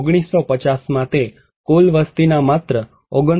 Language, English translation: Gujarati, In 1950, it was only 29